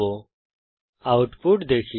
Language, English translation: Bengali, Now let us see the output